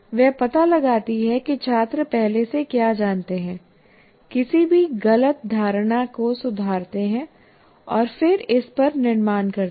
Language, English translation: Hindi, She finds out what students already know, corrects any misconceptions, and then builds onto this